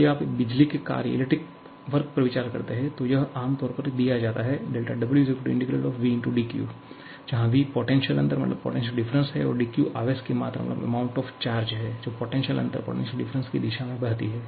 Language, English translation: Hindi, If you talk about electrical work, then it is generally given as V bar dQ where V bar is the potential difference and dQ is the amount of charge that flows in the direction of the potential difference